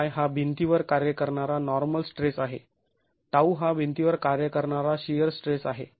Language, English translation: Marathi, Sigma y is the normal stress acting on the wall, tau is the shear stress acting on the wall